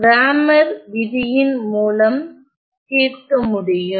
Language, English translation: Tamil, So, that is the solve using Cramer’s rule